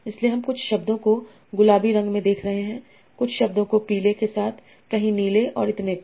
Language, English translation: Hindi, So you are seeing some words with pink, some words with yellow, some words with blue and so on